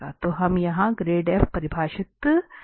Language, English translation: Hindi, So, we will get exactly the grad f defined here